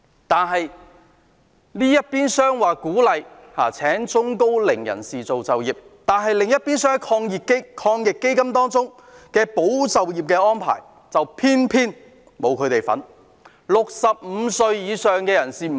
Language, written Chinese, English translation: Cantonese, 但是，這邊廂政府說鼓勵聘請高齡人士，另一邊廂的防疫抗疫基金保就業安排卻偏偏沒有涵蓋這些人士。, However on the one hand the Government says it encourages the employment of the elderly but on the other hand the arrangement under the AEF to safeguard jobs just does not cover them